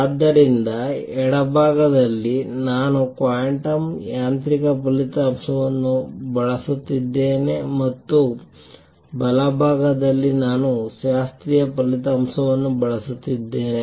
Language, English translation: Kannada, So, on the left hand side, I am using a quantum mechanical result, on the right hand side, I am using the classical result